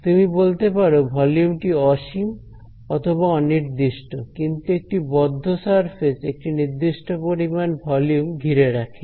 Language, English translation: Bengali, So, I cannot say so the volume is either you can say infinite or you can say undefined but a closed surface encloses a certain finite amount of volume